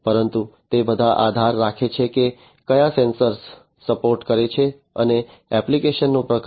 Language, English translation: Gujarati, But it all depends, you know, which sensor is supporting, which type of application